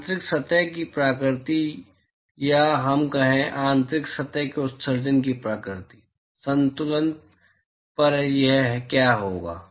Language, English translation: Hindi, Nature of the inside surface or let us say, nature of emission from the inside surface, what will it be, at equilibrium